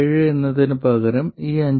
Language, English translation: Malayalam, 7 volts instead of 5